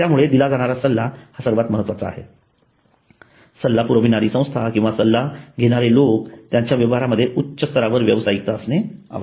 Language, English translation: Marathi, So the content is most important and the profession and the consulting agency or the people who are consulting must have high levels of professionalism in their activities